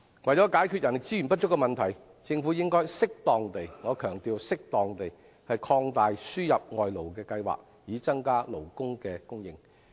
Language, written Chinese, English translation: Cantonese, 為解決人力資源不足的問題，政府應適當地——我強調是適當地——擴大輸入外勞的計劃，以增加勞工的供應。, In order to resolve the problem of insufficient human resources the Government should appropriately―appropriately I emphasize―expand the importation of labour in order to increase the supply